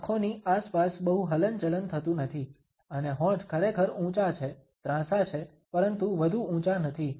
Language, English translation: Gujarati, There is not much movement around the eyes and the lips are really elevated, there are cross, but not high up